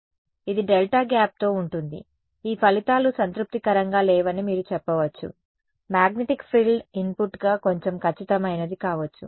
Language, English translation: Telugu, So, this is with delta gap then you can say these results are not satisfactory, may be the magnetic frill is little bit more accurate as an input